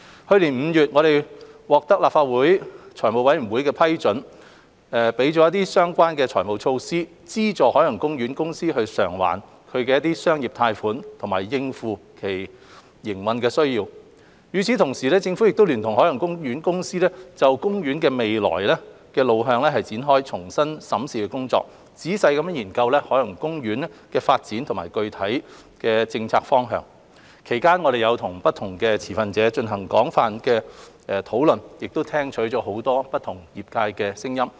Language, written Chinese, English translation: Cantonese, 去年5月，我們獲立法會財務委員會批准相關的財務措施，資助海洋公園公司償還其商業貸款及應付其營運需要；與此同時，政府聯同海洋公園公司就公園的未來路向展開重新審視的工作，仔細研究海洋公園的發展及具體政策方向；其間我們與不同的持份者進行了廣泛的討論，亦聽取了業界很多不同的聲音。, In May last year we obtained the approval of the Finance Committee FC of the Legislative Council for the relevant financial measures to help OPC repay commercial loans and meet its operational needs . Meanwhile the Government together with OPC undertook a rethink exercise to chart the way forward for OP and examine carefully its development and specific policy direction . We have had extensive discussions with different stakeholders and have taken heed of many different opinions of the industry